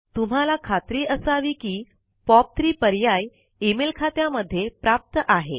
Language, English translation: Marathi, I have also enabled the POP3 option in these two mail accounts